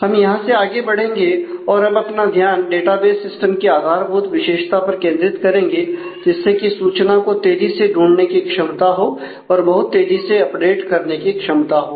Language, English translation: Hindi, We will move on from there to and focus on the basic feature of a database system, which is the ability to find information in a very fast manner the ability to update in a very fast manner